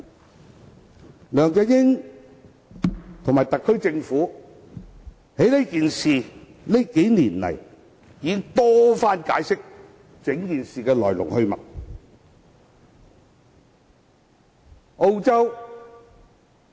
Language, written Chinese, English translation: Cantonese, 這數年來，梁振英和特區政府已多番解釋此事的來龍去脈。, Over the years LEUNG Chun - ying and the SAR Government have explained time and again the ins and outs of this matter